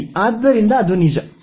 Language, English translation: Kannada, Well, so that is true